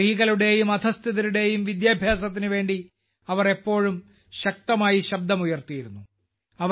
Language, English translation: Malayalam, She always raised her voice strongly for the education of women and the underprivileged